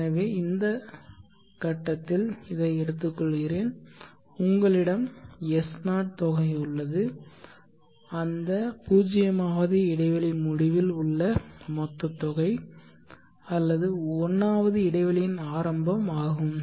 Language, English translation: Tamil, So let me take this at this point, you have s0, the sum the staring sum at the end of the 0th interval or the beginning of the 1st interval